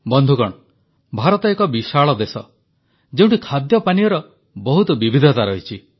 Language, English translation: Odia, Friends, India is a vast country with a lot of diversity in food and drink